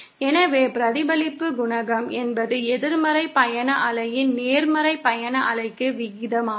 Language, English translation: Tamil, So reflection coefficient is simply the ratio of the negative travelling wave to the positive travelling wave